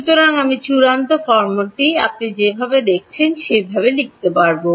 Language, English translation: Bengali, So, I will write down the final form that you get ok